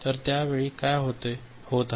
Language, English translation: Marathi, So, at that time what is happening